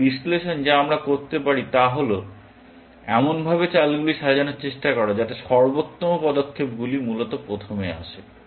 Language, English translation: Bengali, One analysis that we can do is to try to order the moves in such a way, that the best moves comes first, essentially